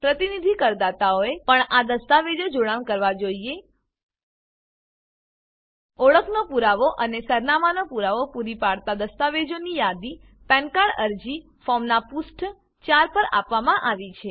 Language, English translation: Gujarati, Representative assessees must also attach these documents List of documents that serve as proof of identity and address are given on page 4 of the Pan application form